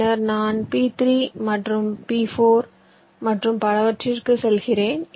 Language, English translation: Tamil, then i move to p three, p four and so on